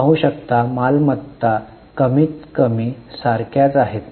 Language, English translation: Marathi, Assets you can see are more or less same